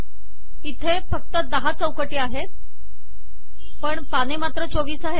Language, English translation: Marathi, There are only 10 unique frames but there are 24 pages